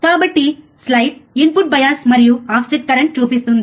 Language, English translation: Telugu, So, the slide shows input bias and offset current